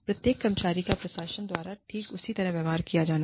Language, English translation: Hindi, Every employee should be treated, the exact same way by the administration